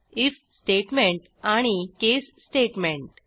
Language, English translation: Marathi, if statement and case statement